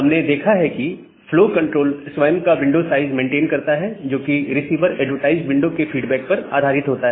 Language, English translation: Hindi, And what we have seen earlier that well, the flow control it maintain its own window size, which is based on the feedback of receiver advertised window